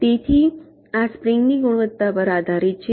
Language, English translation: Gujarati, so this depends on the quality of the spring